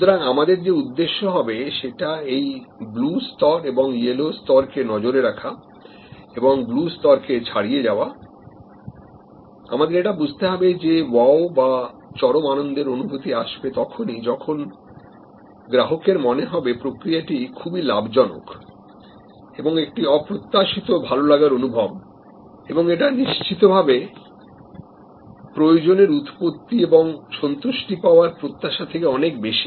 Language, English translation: Bengali, The objective which we will looked at that blue level and the yellow level and our target of exceeding the blue level, what we have to understand is that the delight or wow happens when there is an serendipity, there is unexpected high level of positive feeling which therefore, goes much beyond need arousal and need satisfaction expectation